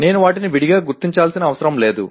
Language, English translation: Telugu, I do not have to separately identify them